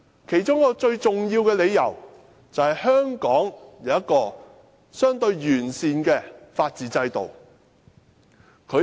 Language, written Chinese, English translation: Cantonese, 其中一個最重要的理由，便是香港有一個相對完善的法治制度。, One of the important reasons is that Hong Kong has a relatively sound rule of law system